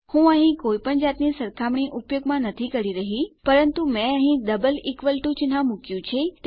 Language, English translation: Gujarati, Im not using any comparison here but Ive put a double equals to sign here